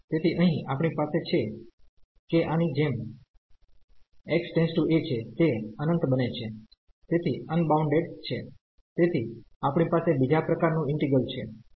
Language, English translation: Gujarati, So, here we have that this as x approaching to a this is becoming infinite so, unbounded so, we have the second kind integral